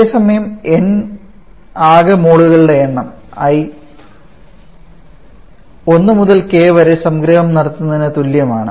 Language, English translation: Malayalam, Whereas n is the total number of moles again submission is perform from i equal to 1 to k